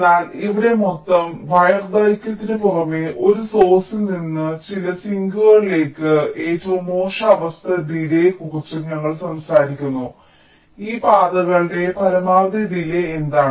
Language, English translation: Malayalam, but here, in addition to the total wire length, we are also talking about the worst case delay from a source down to some of the sinks